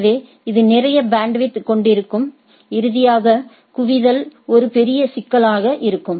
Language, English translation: Tamil, So, it will it have a lot of bandwidth and finally, the convergence will be a major problem